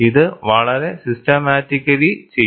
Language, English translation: Malayalam, This is very systematically done